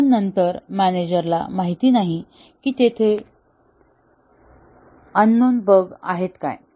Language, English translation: Marathi, But then, the manager does not know what are the unknown bugs there